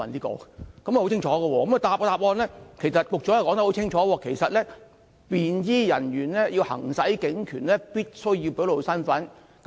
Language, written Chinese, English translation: Cantonese, 局長也在主體答覆中清楚表示："便裝警務人員在行使警察權力時，需要表露身份"。, The Secretary has also clearly stated in the main reply that a plainclothes officer shall identify himselfherself and produce hisher warrant card when exercising hisher police powers according to the prevailing requirement